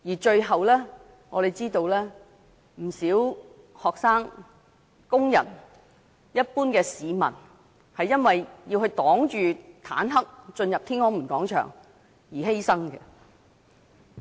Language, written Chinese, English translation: Cantonese, 最後，我們知道有不少學生、工人和一般市民，因為要抵擋坦克車進入天安門廣場而犧牲。, Finally an unknown number of students workers and members of the public sacrificed their lives in an attempt to stop the tanks from entering Tiananmen Square